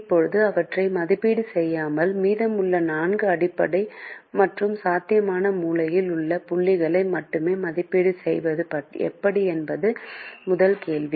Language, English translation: Tamil, now, is there a way not to evaluate them at all and evaluate only the remaining four basic feasible corner points